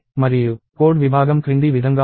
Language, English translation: Telugu, And the code segment is as follows